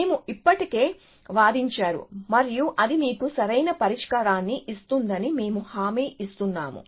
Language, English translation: Telugu, We have already argued and he said that, we guarantee that it will give you the optimal solution